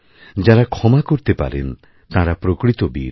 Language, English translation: Bengali, The one who forgives is valiant